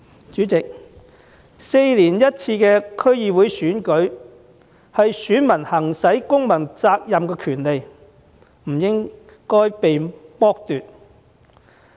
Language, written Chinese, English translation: Cantonese, 主席 ，4 年一次的區議會選舉是選民履行公民責任、行使公民權利的場合，這個權利不應被剝奪。, President the quadrennial DC Election is an occasion allowing voters to fulfil their civic duty and exercise their civil right which they should not be deprived of